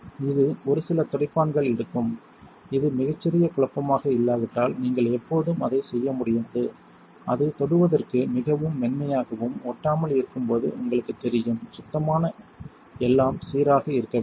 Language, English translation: Tamil, It takes a few wipes you cannot do it in one unless it is a very small mess, you know when you when it is its very smooth to the touch and not sticky that is when you know you are done that is when you know it is clean everything should be smooth